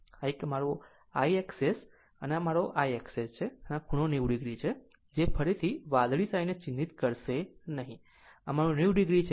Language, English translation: Gujarati, So, this this one my IR S and this is my IX S right and this angle is 90 degree not marking again by blue ink , but this is 90 degree